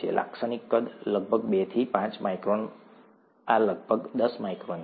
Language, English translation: Gujarati, Typical sizes, about two to five microns this is about ten microns